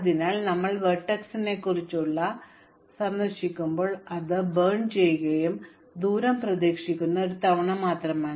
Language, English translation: Malayalam, So when we have visited a vertex we have burnt it and the distance is just the expected one time